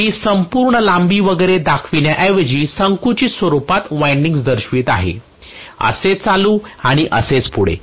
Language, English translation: Marathi, I am just showing the winding in a compressed form rather than showing the entire length and so on and so forth